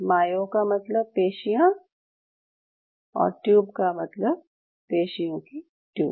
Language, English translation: Hindi, Mayo means muscle and tubes and tubes means tubes of muscle